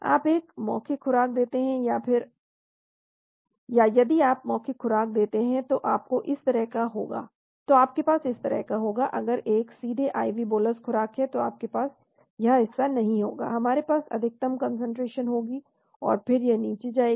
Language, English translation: Hindi, You give a oral dose or if you give oral dose you will have like this, if it is a direct IV bolus dose you will not have this portion, we will have max concentration and so it will fall down